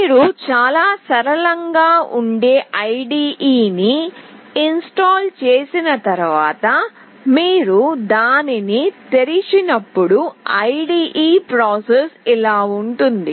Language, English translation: Telugu, When you have already done with installing the IDE which is fairly very straightforward, then when you open it the IDE will open as like this